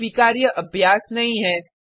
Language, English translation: Hindi, And hence not a recommended practice